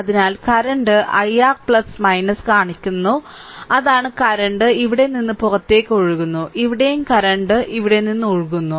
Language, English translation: Malayalam, So, current i is showing your plus minus that is current is flowing out from here; here also current is flowing out from here right